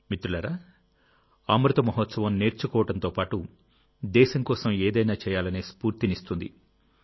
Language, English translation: Telugu, Friends, the Amrit Mahotsav, along with learning, also inspires us to do something for the country